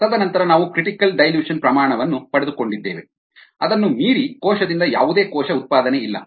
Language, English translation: Kannada, and then we obtained a critical dilution rate, ah, beyond which there is actually no cell production by the cell